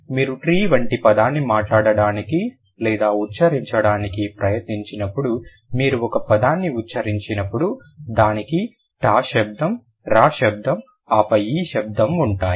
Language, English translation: Telugu, So, when you utter a word like when you try to speak or pronounce a word like tree, it will have a ter sound, raw sound and then e